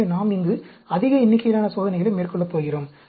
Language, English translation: Tamil, So, we are going to have a large number experiments here